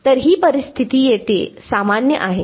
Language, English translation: Marathi, So, this situation is general over here